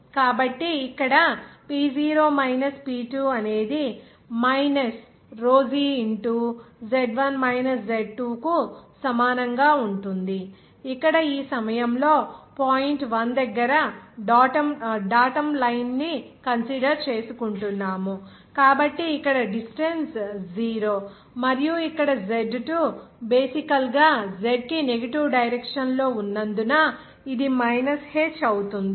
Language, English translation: Telugu, So we can write here P0 minus P2 that will be equal to minus rho g into what is that, what is Z minus Z, Z1 minus Z2 here at this point one since we are considering datum line is at point one, so here distance is 0 and what is that, here h Z2, Z2 is basically since it is in that negative Z direction, it will be minus h